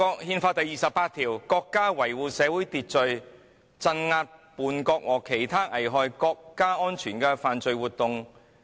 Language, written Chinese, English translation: Cantonese, "《憲法》第二十八條訂明"國家維護社會秩序，鎮壓叛國和其他危害國家安全的犯罪活動......, Article 28 of the Constitution stipulates that [t]he state maintains public order and suppresses treasonable and other counter - revolutionary activities